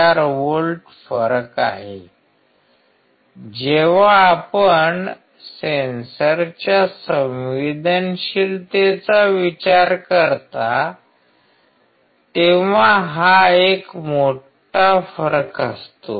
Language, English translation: Marathi, 04 volts difference; When you consider the sensitivity of a sensor, this is a big difference